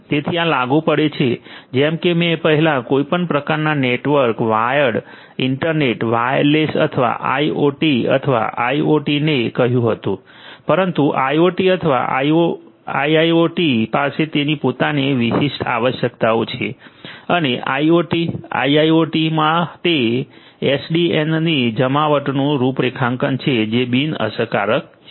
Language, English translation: Gujarati, So, these apply as I said earlier to any kind of network where internet wireless or IoT or IIoT, but IoT or IIoT has it is own specific requirements and the configuration of the deployment of SDN for IoT, IIoT is something that is nontrivial